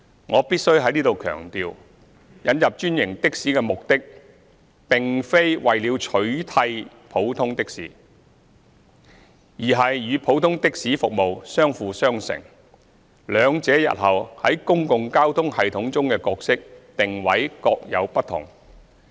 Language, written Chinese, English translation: Cantonese, 我必須在此強調，引入專營的士的目的並非為了取締普通的士，而是與普通的士服務相輔相成，兩者日後在公共交通系統中的角色定位各有不同。, Here I must emphasize that the purpose of introducing franchised taxis is not to phase out ordinary taxis . Rather it is to complement the services of ordinary taxis . The two will have their respective roles and positionings in the public transport system in the future